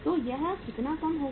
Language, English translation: Hindi, So it will work out as how much